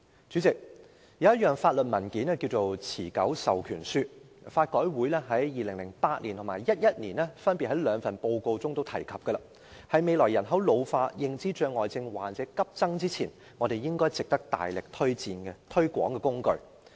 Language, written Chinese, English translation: Cantonese, 主席，有一種法律文件名為"持久授權書"，香港法律改革委員會曾於2008年和2011年分別在兩份報告中提及這文件，是在未來人口老化、認知障礙症患者急增前，值得我們大力推廣的工具。, President there is a legal document called an enduring power of attorney which was mentioned in two reports by the Law Reform Commission of Hong Kong in 2008 and 2011 respectively . It is an instrument worth our vigorous promotion before population ageing and the surge of dementia patients in the future